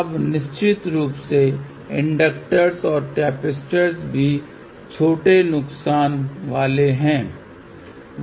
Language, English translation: Hindi, Now of course, inductors and capacitors also have small losses